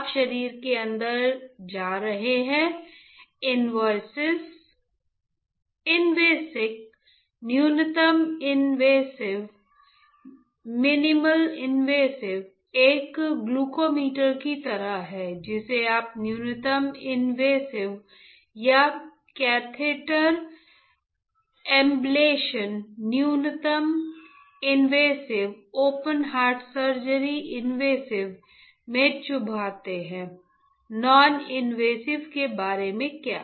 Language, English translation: Hindi, Invasive you are going inside the body invasive, minimally invasive; minimally invasive is like a glucometer you prick the finger minimally invasive or catheter ablation minimally invasive open heart surgery invasive; what about noninvasive